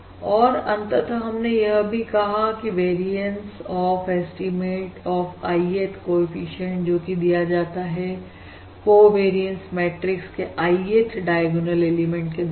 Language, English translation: Hindi, and finally, we have also said, the variance of the Ith, the variance in the estimate of the Ith coefficient is given by the Ith diagonal element, or I, Ith element of this covariance matrix, Alright